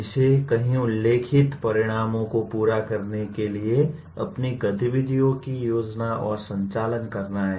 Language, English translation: Hindi, That is it has to plan and conduct its activities to meet several stated outcomes